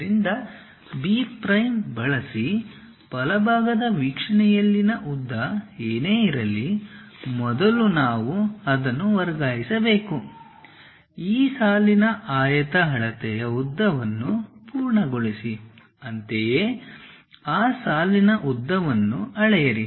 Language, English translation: Kannada, So, using B prime, whatever the length in the right side view we have that length first we have to transfer it, complete the rectangle measure length of this line; similarly, measure lengths of that line